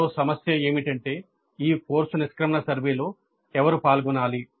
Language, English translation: Telugu, And another issue is that who should participate in this course exit survey